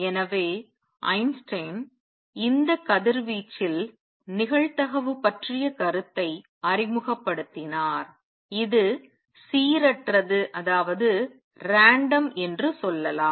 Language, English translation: Tamil, So, Einstein introduced the idea of probability in this radiation, let us say it is random